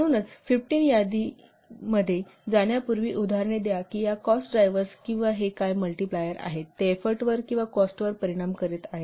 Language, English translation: Marathi, So before going to the 15 list, let's take an example that how these cost drivers or these what multipliers they are affecting the effort or the cost